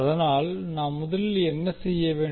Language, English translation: Tamil, So first what we have to do